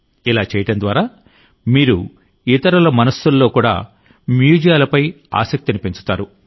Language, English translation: Telugu, By doing so you will also awaken curiosity about museums in the minds of others